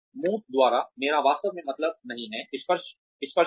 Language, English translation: Hindi, By tangible, I do not really mean, touch